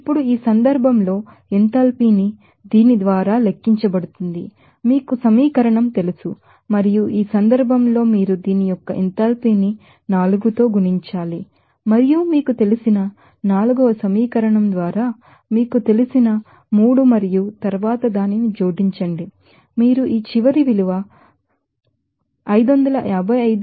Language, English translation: Telugu, Now, in this case again that enthalpy correspondingly will be calculated by this you know equation and in this case you have to multiply the enthalpy of this you know say 3rd equation by 4 and the you know by fourth equation by you know 3 and then add it up you will get this final value of 555